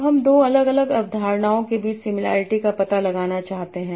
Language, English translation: Hindi, Now you want to find out similarity across two different concepts